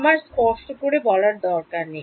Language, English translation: Bengali, I do not need to explicitly